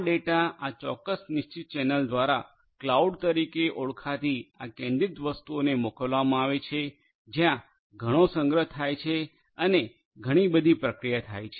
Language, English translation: Gujarati, These data are sent through this particular fixed channel to this centralized entity called the cloud where lot of storage is existing and lot of processing can be done